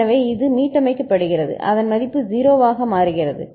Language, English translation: Tamil, So, it gets reset it becomes value become a 0